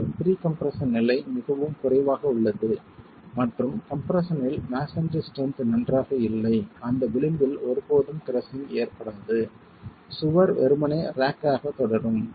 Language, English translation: Tamil, But the level of pre compression is so low that and the strength of masonry in compression is if it is good then at that edge O you will never get crushing